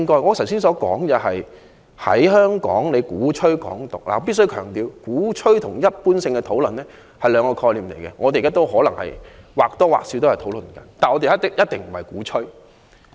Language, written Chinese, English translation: Cantonese, 我剛才談及有人在香港鼓吹"港獨"，我必須強調，鼓吹和一般性的討論是兩個概念，我們現在或多或少是在討論，但我們一定不是鼓吹。, As for my remarks just now on some people in Hong Kong advocating Hong Kong independence I must stress that advocacy and general discussion are two concepts . We are now more or less discussing Hong Kong independence but we are certainly not advocating it